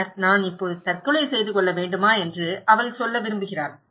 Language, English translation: Tamil, Then, she wants to say what, should I commit suicide now